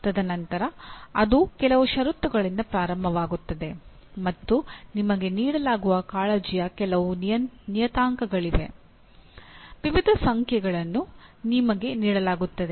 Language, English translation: Kannada, And then it starts at some conditions and there are certain parameters of concern are given to you, various numbers are given to you